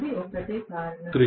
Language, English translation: Telugu, That is the only reason